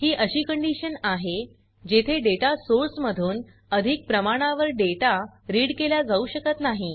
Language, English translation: Marathi, It is a condition where no more data can be read from a data source